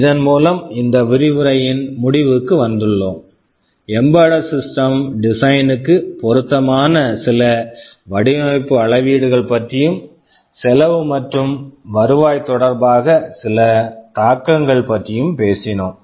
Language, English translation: Tamil, With this we come to the end of this lecture where we talked about some of the design metrics that are relevant in embedded system design, and some of the implications with respect to the cost and revenue